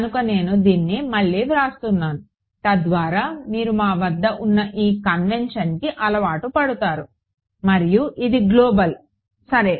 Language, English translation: Telugu, So, I am writing this again so that you get used to this convention that we have and this of course, is global ok